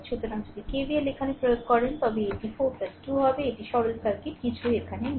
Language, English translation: Bengali, So, if you apply KVL here it will be 4 plus 2, it is the simple circuit right nothing is here